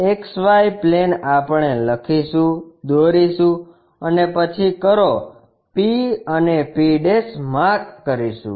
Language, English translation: Gujarati, XY plane we will write, draw then mark point P and p'